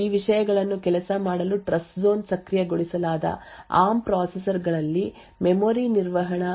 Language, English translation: Kannada, Now in order to make these things to work the memory management unit in Trustzone enabled ARM processors is designed in a special way